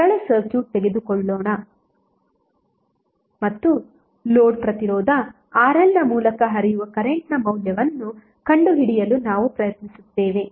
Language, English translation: Kannada, Let us take one simple circuit and we will try to find out the value of current flowing through the load Resistance RL